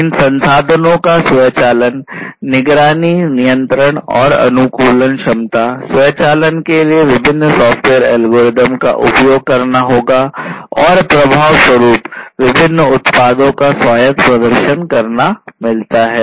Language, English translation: Hindi, Automation; automation of these resources, monitoring, control, and optimization capabilities, different software algorithms will have to be used for the automation, and the effect is having autonomous performance of these different products